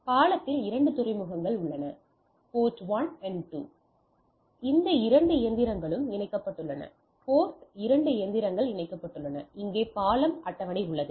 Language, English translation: Tamil, So, if you see that in the port 1, so that the bridge has a 2 ports, port 1, these two machines are connected port 2 machines are connected port 2 machines are connected, and here is the bridge table